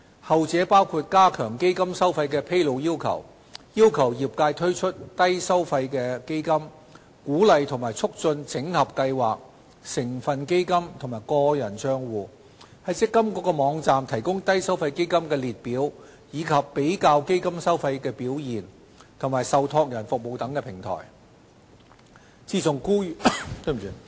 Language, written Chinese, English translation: Cantonese, 後者包括加強基金收費的披露要求、要求業界推出低收費基金、鼓勵及促進整合計劃、成分基金和個人帳戶、在積金局網站提供低收費基金列表、比較基金收費和表現及受託人服務的平台等。, The latter included tightening the disclosure requirement for the fees of funds requiring the industry to launch low - fee funds encouraging and facilitating the consolidation of MPF schemes constituent funds and personal accounts providing the Low Fee Fund List and a platform for comparing the fees and performance of funds as well as the service of trustees on the website of the MPFA and so on